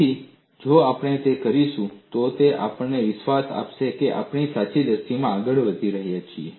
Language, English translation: Gujarati, So, if we do that, it would give us a confidence that we are proceeding in the right direction